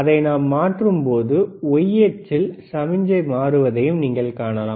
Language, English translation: Tamil, And when you see, when he is changing, you can also see the signal on the y axis